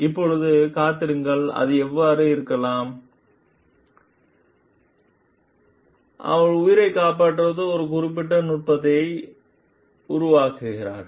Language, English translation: Tamil, Now, wait it may be so, that she has developed a particular technique that saves life